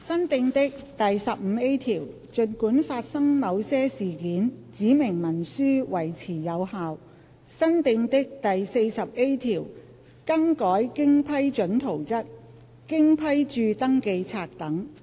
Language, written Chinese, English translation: Cantonese, 新訂的第 15A 條儘管發生某些事件，指明文書維持有效新訂的第 40A 條更改經批准圖則、經批註登記冊等。, New clause 15A Specified instrument in force despite certain events New clause 40A Variation of approved plans endorsed registers etc